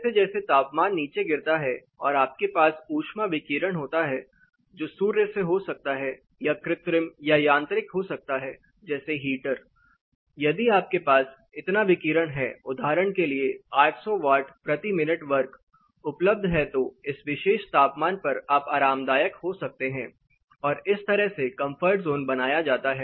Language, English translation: Hindi, As the temperatures fall down you have with heat radiation it can be sun it can be artificial or mechanical you know heaters where if you have this much radiation say for example, 800 watts per minute square is available then at this particular temperature you can be comfortable the comfort zone is drawn like this